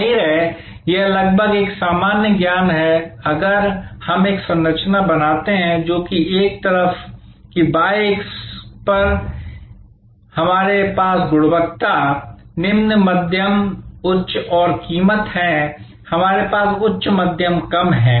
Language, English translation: Hindi, Obviously, this is almost a common sense that if we create a matrix, which on one side; that is on the y axis we have quality, low, medium, high and price, we have high, medium low